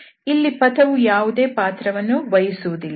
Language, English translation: Kannada, The path does not play any role